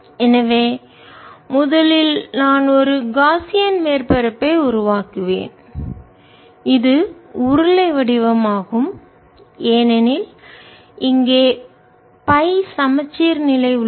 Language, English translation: Tamil, so first i will make a gaussian surface which is cylindrical because here is the phi symmetry